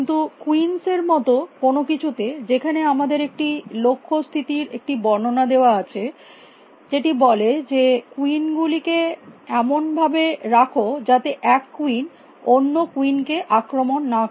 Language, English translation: Bengali, But on something like n queens here given a description of the goal state it will says that, place and queens that now, no queen attacks any other